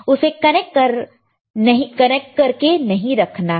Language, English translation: Hindi, Do not just keep it connected